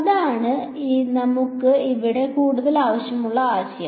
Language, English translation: Malayalam, That is the concept that we will need further over here